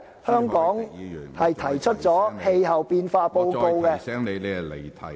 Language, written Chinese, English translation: Cantonese, 香港曾發表氣候變化報告......, Hong Kong has released a climate change report